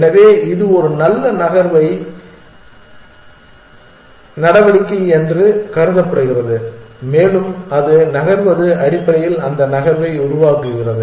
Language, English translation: Tamil, So, it is thought this is the good move to make and it move make that move essentially